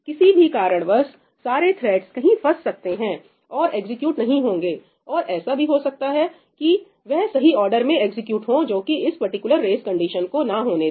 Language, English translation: Hindi, For whatever reason, all the threads may end up getting stuck somewhere and not getting executed and they might end up executing in the correct order that does not cause this particular race condition to happen